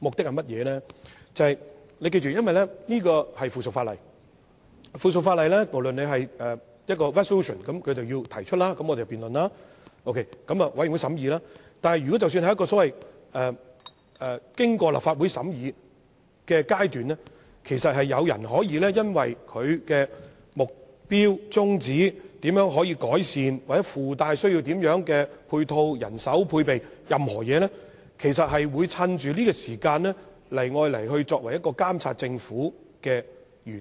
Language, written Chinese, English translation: Cantonese, 議員要記得，原本的議案關乎附屬法例，即不論是否關乎一項決議案，提出後會由議員進行辯論，經過相關委員會審議，但即使是經過立法會審議的階段，議員其實也可以因應議案的目標、宗旨、改善方法或須附帶甚麼配套、人手、配備等任何事宜，藉着這個機會進行辯論，以達到監察政府的原意。, Members must not forget that the original motion is about subsidiary legislation that is regardless of whether it relates to a resolution Members will debate on it once it is moved followed by the scrutiny of a relevant subcommittee . Even if the motion has gone through the scrutiny of the Legislative Council Members can still use the opportunity to debate with regard to the motions purpose objective areas of improvement or any matters like the necessary supplements manpower or supportive measures so as to fulfil the original purpose of monitoring the Government